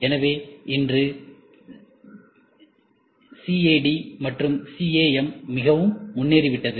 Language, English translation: Tamil, So, today CAD has become very advance, CAM has become very advance